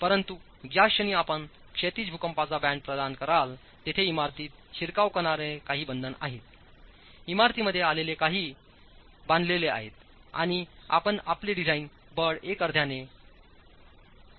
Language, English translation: Marathi, But the moment you provide a horizontal seismic band, there is some confinement that comes into the building, there is some tying that comes into the building and you can reduce your design force by 50% by one half